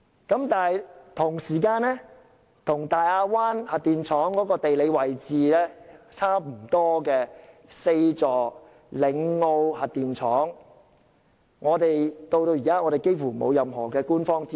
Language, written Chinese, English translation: Cantonese, 然而，同一時間，與大亞灣核電廠地理位置相若並設有4個核反應堆的嶺澳核電廠，至今幾乎完全沒有任何官方資訊。, However there is also the Lingao Nuclear Power Station which is equipped with four nuclear reactors and located roughly in the same geographical area . There has been virtually no official information about this power station so far